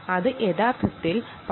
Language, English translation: Malayalam, essentially you do it for ten seconds